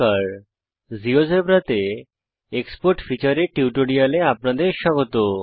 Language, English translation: Bengali, Welcome to this Geogebra tutorial on the Export feature in GeoGebra